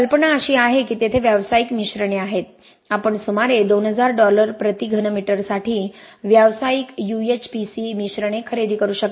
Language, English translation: Marathi, The idea is that there are commercial mixtures, you can buy commercial UHPC mixtures for about 2000 dollars per cubic meter